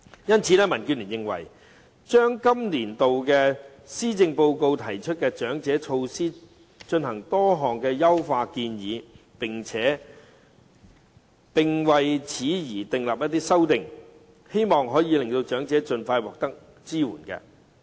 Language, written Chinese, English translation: Cantonese, 因此，民建聯就今個年度的施政報告中的長者措施提出多項優化建議，希望可以令長者盡快獲得支援。, Hence DAB has made various suggestions to enhance the measures for the elderly in this years Policy Address in the hope that the elderly can be given support expeditiously